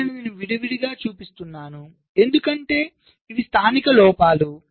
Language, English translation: Telugu, so i am showing it separately because these are the local faults